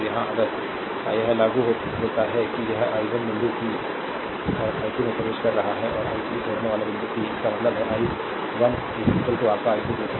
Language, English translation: Hindi, So, here if you apply that outgoing this ah i 1 is entering at point p and i 2 and i 3 leaving point p, right; that means, i 1 is equal to your i 2 plus i 3, right